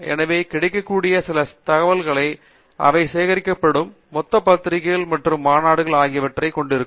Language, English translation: Tamil, So, there are certain databases that are available, which contain the entire collection of journals and conference proceedings that will be collected together